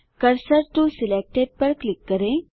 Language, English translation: Hindi, Click Cursor to Selected